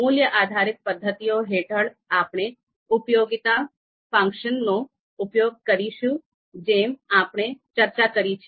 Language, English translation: Gujarati, So under value based methods, we use utility function as we have talked about